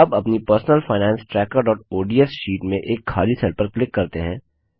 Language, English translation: Hindi, Now in our personal finance tracker.ods sheet, let us click on a empty cell